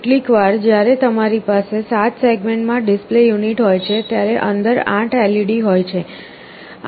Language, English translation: Gujarati, Sometimes when you have a 7 segment display unit, there are 8 LEDs inside